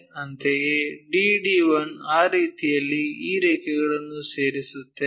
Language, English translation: Kannada, Similarly, D to D1 so D to D 1, that way we join these lines